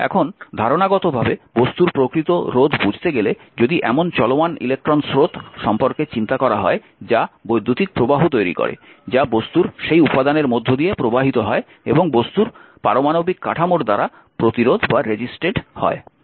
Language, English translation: Bengali, Now, conceptually we can understand the resistance actually of a material if we think about moving electrons that make up electric current interacting with and being resisted by the atomic structure of the material through which they are moving